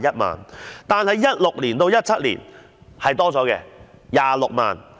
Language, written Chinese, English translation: Cantonese, 2016-2017 年度增加至26萬元。, In the fiscal year of 2016 - 2017 it was increased to 260,000